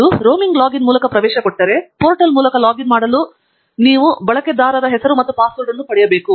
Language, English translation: Kannada, if it is there through a roaming login, then you must get the username and password for you to log in through the portal